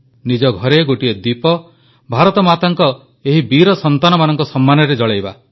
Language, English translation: Odia, We have to light a lamp at home in honour of these brave sons and daughters of Mother India